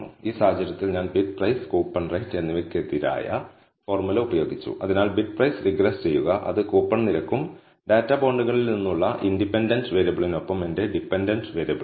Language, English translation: Malayalam, So, in this case I have used the formula bidprice versus coupon rate so regress bidprice, which is my dependent variable with my independent variable which is coupon rate and from the data bonds